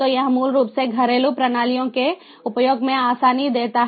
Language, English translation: Hindi, so this basically allows the ease of use of house hold systems